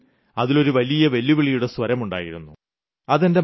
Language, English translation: Malayalam, " In a way it had a tone of challenge as well as advice